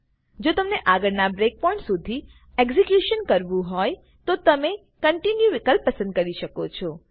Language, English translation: Gujarati, If you want to continue the execution to the next breakpoint you can choose the Continue option